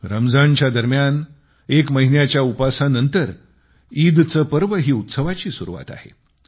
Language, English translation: Marathi, After an entire month of fasting during Ramzan, the festival of Eid is a harbinger of celebrations